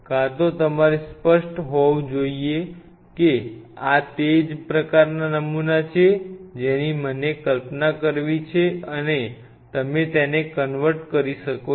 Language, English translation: Gujarati, Either you have to be up front very clear that this is the kind of sample I have to visualize and you convert them